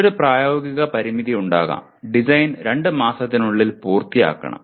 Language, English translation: Malayalam, There can be another practical constraint the design should be completed within two months